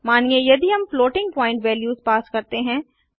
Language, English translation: Hindi, Suppose if we pass floating point values